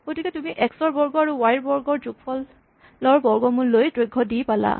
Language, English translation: Assamese, So, you take a x square plus y square root and you get d